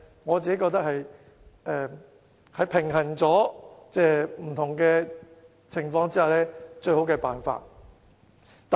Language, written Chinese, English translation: Cantonese, 我覺得這是平衡各個因素後的最好辦法。, After balancing various factors I think this is the best approach